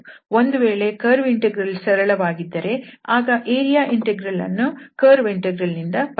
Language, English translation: Kannada, If curve integral is easier, we can find such area integral with the help of the curve integral